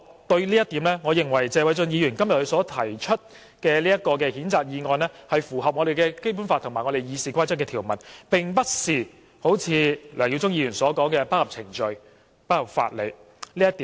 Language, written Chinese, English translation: Cantonese, 對於這一點，我認為謝偉俊議員今天提出的譴責議案是符合《基本法》及《議事規則》的條文，並不是好像梁耀忠議員所說般不合程序、不合法理。, In this regard I think that Mr Paul TSEs censure motion is in line with the provisions of the Basic Law and Rules of Procedure unlike the claim made by Mr LEUNG Yiu - chung that it is not in line with procedures and jurisprudence